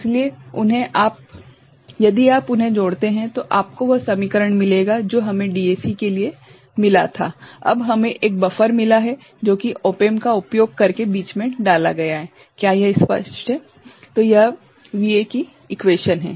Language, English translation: Hindi, So, if you add them up you will get the equation that we had got for the DAC, now we have got a buffer put in between using an op amp is it clear